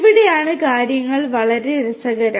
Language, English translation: Malayalam, This is where things are very interesting